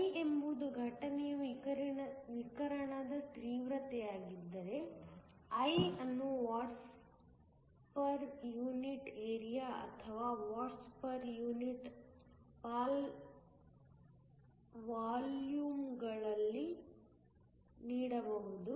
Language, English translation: Kannada, If I is the Intensity of the Incident radiation, I can be given in units of watts per unit area or watts per unit volume